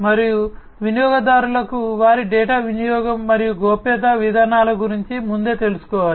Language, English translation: Telugu, And the customers will have to be made aware beforehand about the usage of their data and the privacy policies